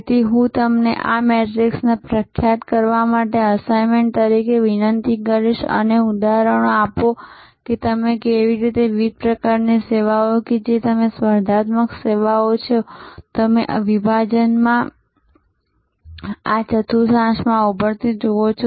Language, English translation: Gujarati, So, I would request you to as an assignment to populate this matrix and give me examples that how different types of services that you are competitive services, you see emerging in this segment, in this quadrant, in this quadrant and in this quadrant